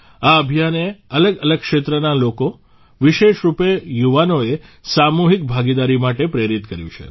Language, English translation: Gujarati, This campaign has also inspired people from different walks of life, especially the youth, for collective participation